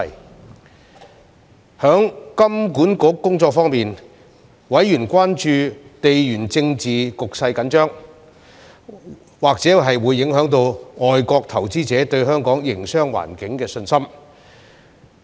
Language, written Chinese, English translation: Cantonese, 在香港金融管理局的工作方面，委員關注到地緣政治局勢緊張，或會影響外國投資者對香港營商環境的信心。, On the work of the Hong Kong Monetary Authority HKMA members were concerned that the geopolitical tensions might affect foreign investors confidence in the business environment of Hong Kong